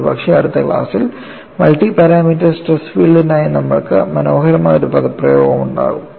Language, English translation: Malayalam, And possibly by next class, we would have an elegant expression for multi parameter stresses filed